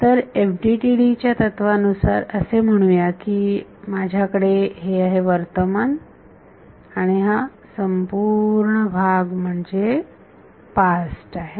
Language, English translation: Marathi, So, from the FDTD philosophy, I have let us say present and this whole thing is past